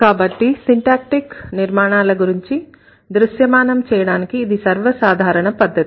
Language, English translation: Telugu, This is one of the most common ways to create a visual representation of syntactic structure